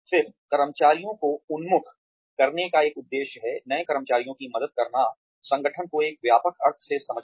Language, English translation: Hindi, Then, another purpose of orienting employees is, to help the new employee, understand the organization in a broad sense